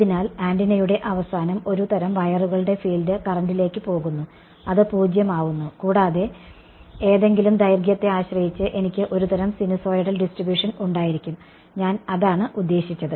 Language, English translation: Malayalam, So, at the end of the antenna sort of wires the field is going to the current is going to be 0 and depending on whatever length is I will have some kind of sinusoidal distribution over I mean that is